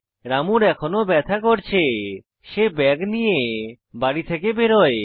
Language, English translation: Bengali, Ramu, still in pain, picks his bag and leaves home